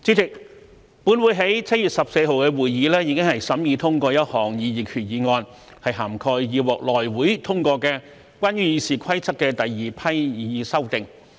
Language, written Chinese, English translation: Cantonese, 主席，本會在7月14日的會議已審議通過一項擬議決議案，涵蓋已獲內務委員會通過關於《議事規則》的第二批擬議修訂。, President a proposed resolution covering the second batch of proposed amendments to the Rules of Procedure RoP approved by the House Committee HC was considered and passed by the Council at its meeting on 14 July